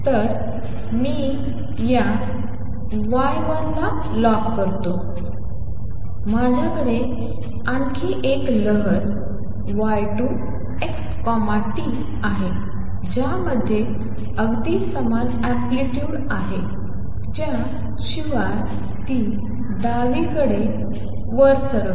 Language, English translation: Marathi, So, let me call this y 1, I have also have another wave y 2 x t which has exactly the same amplitude except that it travels to the left